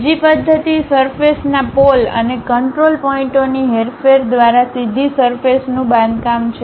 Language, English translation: Gujarati, The other method is directly construction of surface by manipulation of the surface poles and control points